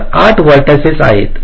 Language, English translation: Marathi, so there are eight vertices